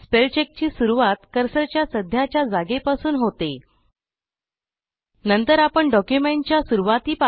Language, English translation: Marathi, The spellcheck starts at the current cursor position and advances to the end of the document or selection